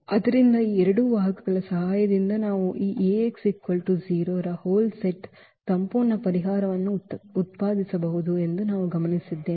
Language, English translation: Kannada, So, what we observed that with the help of these two vectors we can generate the whole set whole solution set of this A x is equal to 0